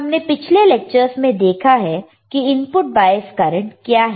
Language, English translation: Hindi, We have seen in the lectures what are input bias current